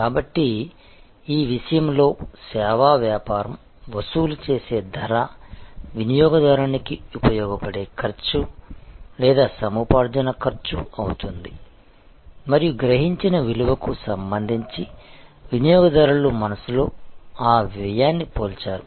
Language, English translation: Telugu, So, in some respect therefore, the price charged by the service business is a cost of acquisition to the cost of use for the consumer and that cost is compared in customers mind with respect to the value perceived